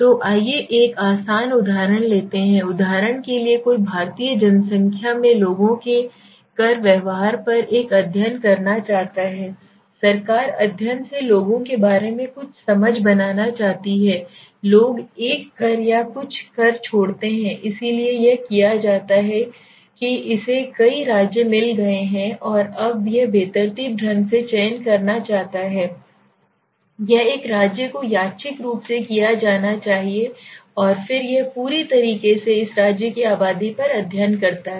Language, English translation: Hindi, So let s take an easy example for example somebody wants to make a study on the Indian population right the government wants to make some study some understanding about people s tax behavior why people leave a tax or something right so what it is done it has got several state and now it wants to select randomly it pulls out a state anyone one state must be done randomly and then it completely does a study on the population of this state right